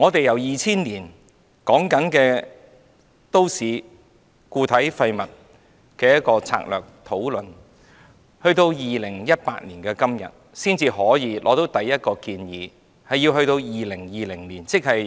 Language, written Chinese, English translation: Cantonese, 由2000年開始討論都市固體廢物策略，及至2018年的今天，我們才得出第一個建議，而這個建議要到2020年才推行。, The discussion on strategies on municipal solid waste disposal started in 2000 . Yet now in the year of 2018 we have come up with the first proposal which will only be implemented in 2020